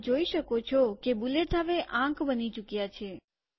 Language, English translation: Gujarati, You can see that the bullets have become numbers now